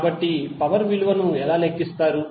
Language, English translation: Telugu, So, how will calculate the value of power